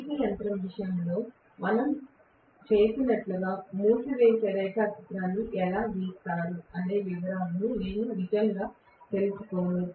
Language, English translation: Telugu, I am not going to really get into the detail of how the winding diagram is drawn like what we did in the case of DC machine